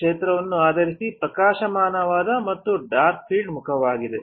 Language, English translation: Kannada, Based on the field there is a bright field mask, and there is a dark field mask